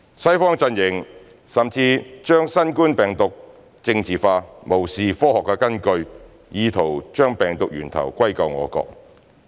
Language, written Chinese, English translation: Cantonese, "西方陣營"甚至將新冠病毒疫情政治化，無視科學根據，意圖將病毒源頭歸咎我國。, The Western camp even politicized the COVID - 19 epidemic by trying to blame our country for being the source of the virus in disregard of scientific basis